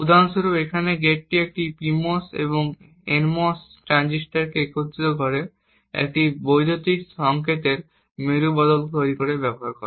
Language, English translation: Bengali, Like for instance this gate over here uses a PMOS and an NMOS transistor coupled together to form an inverter